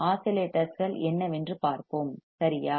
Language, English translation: Tamil, Let us see what exactly oscillators are